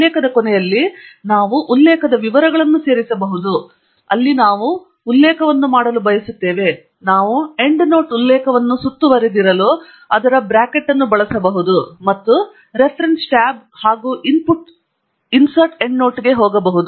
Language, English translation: Kannada, We can add the reference details at the end of the sentence where we want to make the citation; we can use square bracket to enclose the endnote reference, and we can go to the Reference tab and Insert, Endnote